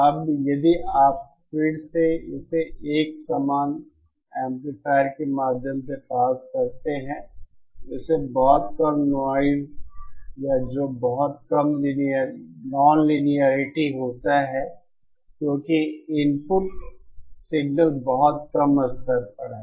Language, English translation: Hindi, Now if you again pass this through an identical amplifier assuming this as very little noise or which produces very little nonlinearity because the input signal is at very low level